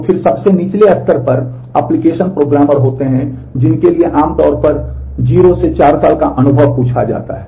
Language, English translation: Hindi, So, then at the lowest level there are application programmers for which typically 0 to 4 years of experience are asked for